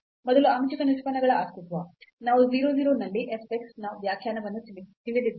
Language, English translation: Kannada, So, first the existence of partial derivatives; so, we know the definition of f x at 0 0